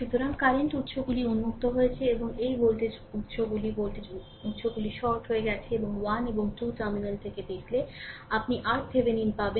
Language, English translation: Bengali, So, current sources open and this voltage sources is voltage sources shorted right and looking from in between terminal 1 and 2, you will get the R Thevenin right